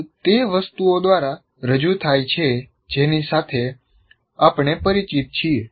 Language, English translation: Gujarati, And here sizes are represented by some of the things that we are familiar with